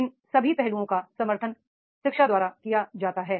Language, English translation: Hindi, All these aspects they are supported by the education is there